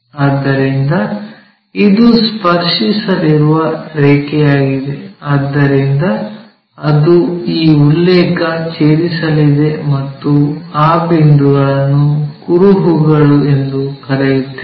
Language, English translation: Kannada, So, this is the line which is going to touch that so it is going to intersect this reference plane and that point what we are calling trace